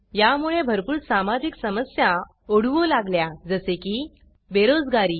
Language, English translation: Marathi, These lead to a lot of social problems like: Unemployment